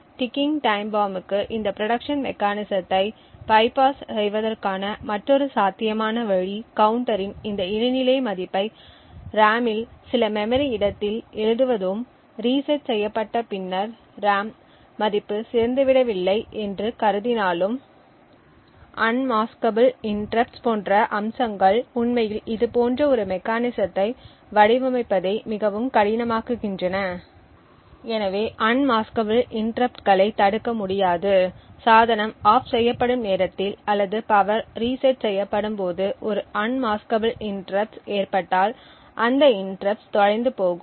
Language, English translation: Tamil, Another potential way to bypass this protection mechanism for a ticking time bomb is to write this intermediate value of the counter into some memory location in the RAM for instance and after the reset assuming that the RAM value has not decayed however aspect such as unmaskable interrupts could actually make designing such a mechanism quite difficult so in order as we know unmaskable interrupts cannot be blocked and if an unmaskable interrupt occurs during the time when the device is turned off or when the power reset is being done then that interrupt would get lost